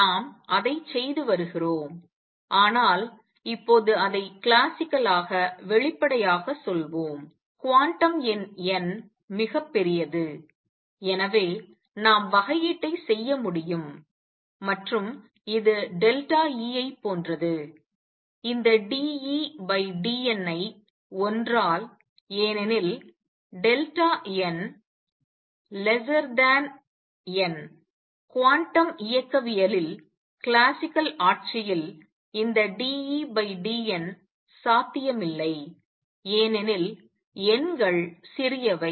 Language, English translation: Tamil, We have been doing it, but now let us explicitly say it classically, the quantum number n is very large and therefore, we can afford to do differentiation and which is the same as delta e suppose i, this d E by d n by one because delta n which is one is much much much much smaller than n in the classical regime in quantum mechanics this d E by d n would not be possible because numbers are small